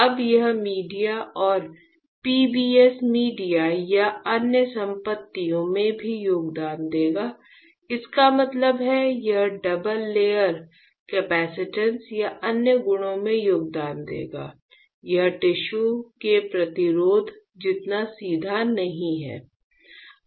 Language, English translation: Hindi, Now, this media and PBS media or PBS will also contribute to the other properties; that means, it will contribute to the double layer capacitance and other properties; it is not as straight as resistance of the tissue